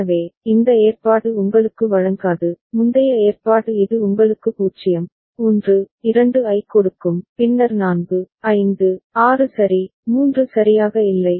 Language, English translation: Tamil, So, this arrangement does not give you, the previous arrangement see it gives you 0, 1, 2, then 4, 5, 6 ok, 3 is missing right